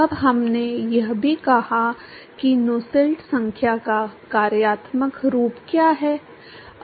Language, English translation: Hindi, Now, we also said what is the functional form of Nusselt number